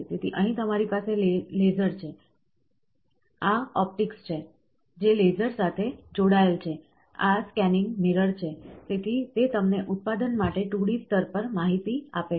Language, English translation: Gujarati, So, here you have laser, this is the optics which is attached with the laser, this is a scanning mirror; so, it gives you 2D layer information so to for producing